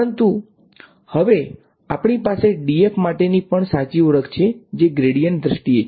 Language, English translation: Gujarati, But now we also have a nice identity for d f which is in terms of the gradient right